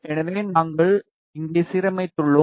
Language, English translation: Tamil, So, we have aligned here